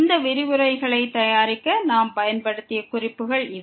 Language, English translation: Tamil, These are references which we have used to prepare these lectures and